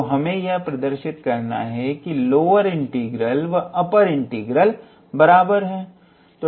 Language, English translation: Hindi, So, we have to show that the lower integral is equal to the upper integral